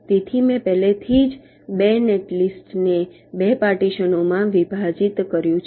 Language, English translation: Gujarati, so i have already divided two netlist into two partitions